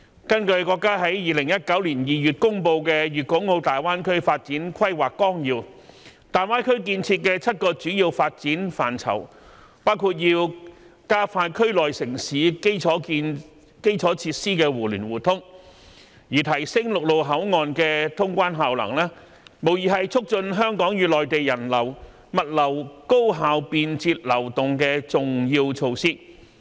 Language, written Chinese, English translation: Cantonese, 根據國家在2019年2月公布的《粵港澳大灣區發展規劃綱要》，大灣區建設的7個主要發展範疇，包括要加快區內城市基礎設施的互聯互通，而提升陸路口岸的通關效能，無疑是促進香港與內地人流、物流高效便捷流動的重要措施。, According to the Outline Development Plan for the Guangdong - Hong Kong - Macao Greater Bay Area promulgated by the country in February 2019 there are seven major areas for development in the Greater Bay Area and expediting infrastructural connectivity in the area was one of them . Therefore to enhance the cross - boundary efficiency of land boundary control point is undoubtedly an important measure to promote the efficient and convenient passenger and goods flow between Hong Kong and the Mainland